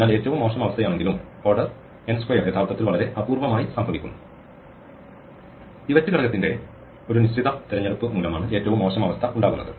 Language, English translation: Malayalam, So, the worst case though it is order n square actually happens very rare The worst case actually arises because of a fixed choice of the pivot element